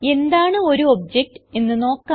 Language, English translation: Malayalam, Now let us see what an object is